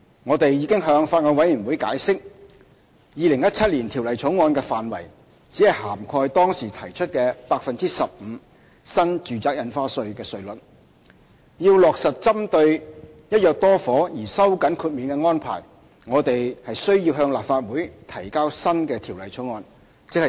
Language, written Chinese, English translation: Cantonese, 我們已向法案委員會解釋，《2017年條例草案》的範圍只涵蓋當時提出的 15% 新住宅印花稅稅率；若要落實針對"一約多伙"而收緊豁免的安排，我們需要向立法會提交新的條例草案。, We have already explained to the Bills Committee that the scope of the 2017 Bill only covers the NRSD rate of 15 % proposed back then . To give effect to the tightening of the exemption arrangement targeting the purchase of multiple flats under one agreement we have to introduce a new bill into the Legislative Council